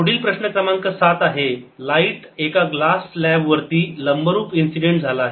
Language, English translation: Marathi, next problem, number seven, is light is incident normally on glass slab